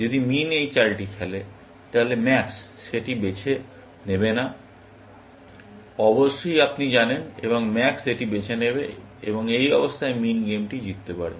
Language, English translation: Bengali, If min plays this move, then max will not choose that, of course, you know, and max will choose this, and at this stage, min can win the game